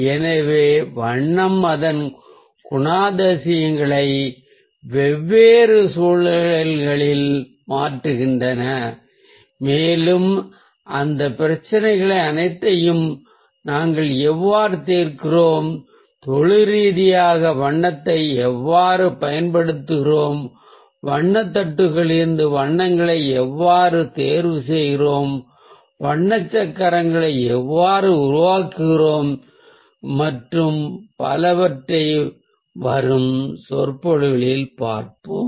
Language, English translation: Tamil, so colour changes its characteristics ah in different contexts, and we'll see how we solve all those problems and how we professionally use colour, how we ah choose colours from the colour palettes, how we create the colour wheels and so on